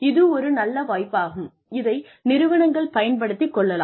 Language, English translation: Tamil, And, that is one opportunity, that organizations can make use of